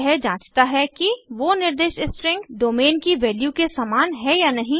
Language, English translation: Hindi, This checks whether the specified string matches value of domain